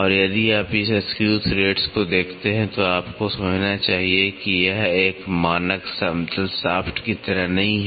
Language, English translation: Hindi, And, if you look at it this screw thread you should understand it is not like a standard flat shaft